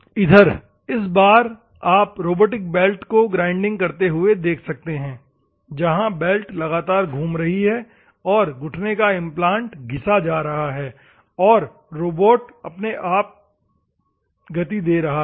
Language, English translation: Hindi, Here, in this case, you can see the robotic belt grinding where the belt is continuously moving, and the knee implant is coming in, and it is a robot giving its own motion